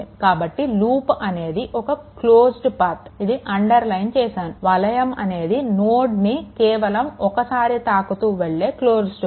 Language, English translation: Telugu, So, a loop is a close path with no node I have underlined this, a loop is a close path with no node passed more than once